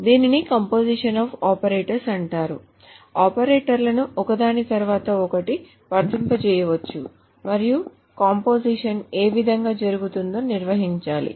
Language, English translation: Telugu, So the same, the operators can be applied one after another and it has to be defined in what way the composition can take place